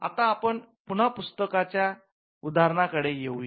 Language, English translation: Marathi, So, let us come back to the book analogy